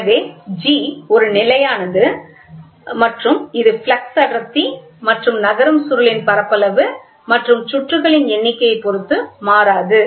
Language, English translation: Tamil, So, G is a constant and it is independent of the flux density and the moving and area of the moving coil and number of turns